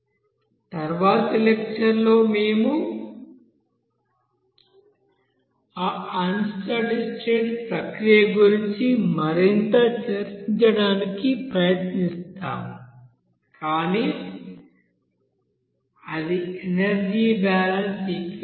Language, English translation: Telugu, In the next lecture we will try to discuss something more about that unsteady state process, but that will be energy balance equation